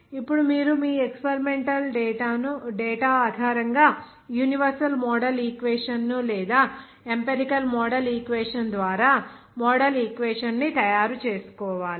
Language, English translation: Telugu, Now, once you make the model equation by universal model equation or empirical model equation based on your experimental data